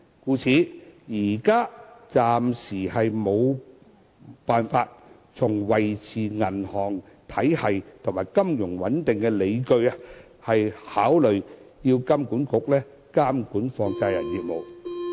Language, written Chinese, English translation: Cantonese, 因此，現時無法基於維持銀行體系及金融穩定的理據來考慮由金管局監管放債人業務。, Therefore there is currently no justification from the perspective of maintaining the stability of our banking and financial systems for considering bringing the businesses of money lenders under the regulation of HKMA